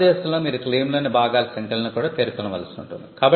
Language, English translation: Telugu, In India, you will have to mention the numbers of the parts within the claim also